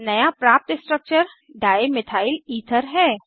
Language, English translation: Hindi, The new structure obtained is Dimethylether